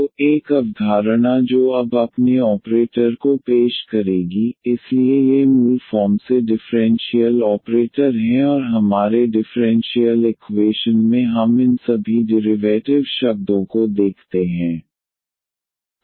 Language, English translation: Hindi, So, one concept which will introduce now its operator, so these are the basically the differential operators and in our differential equation we do see all these derivative terms